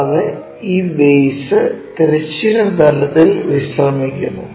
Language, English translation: Malayalam, And, base this base is resting on horizontal plane